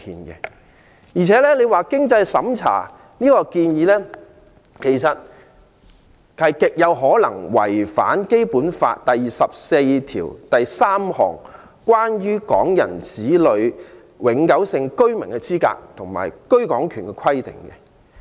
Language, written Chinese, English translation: Cantonese, 而且，經濟審查的建議，其實極有可能違反《基本法》第二十四條第二款第三項，關於港人子女的永久性居民資格及居港權規定。, Moreover it is most likely that the means test suggestion contravenes Article 2423 of the Basic Law which accords permanent resident status and the right of abode to children born to Hong Kong people